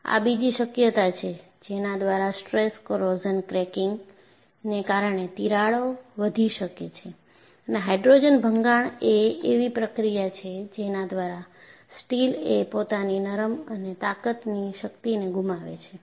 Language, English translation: Gujarati, This is another possibility, by which the cracks can grow due to stress corrosion cracking, and what you find is, hydrogen embrittlement is the process by which steel looses its ductility and strength